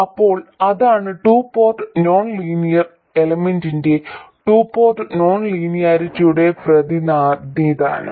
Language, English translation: Malayalam, So, that is the representation of a 2 port nonlinear element, 2 port non linearity